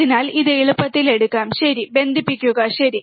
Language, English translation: Malayalam, So, it is easier take this one, ok, connect it, alright